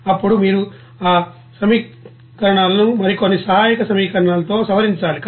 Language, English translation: Telugu, Then you know that you have to modify that equations with some other you know auxiliary equations